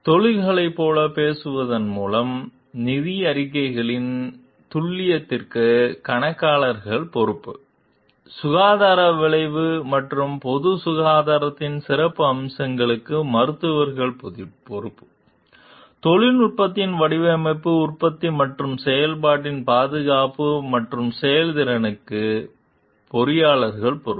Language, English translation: Tamil, With talking of like professions, then accountants are responsible for the accuracy of financial reports; physicians are responsible for the health outcome and certain aspects of the public health; engineers are responsible for safety and performance in their design, manufacture and operation of technology